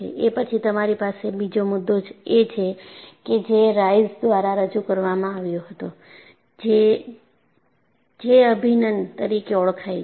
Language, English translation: Gujarati, Then you have another concept, which was introduced by Rice, which is known as J integral